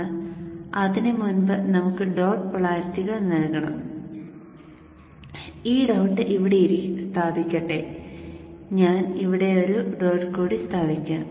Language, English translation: Malayalam, I'll explain to you in a moment but before that we have to give the dot polarities and let me place this dot here and I shall place one more dot here